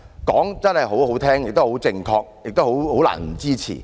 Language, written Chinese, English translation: Cantonese, 說得很動聽，亦很正確，難以不支持。, As it sounded pleasant and most correct people could hardly not support it